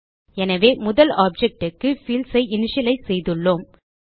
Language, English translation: Tamil, Thus we have initialized the fields for the first object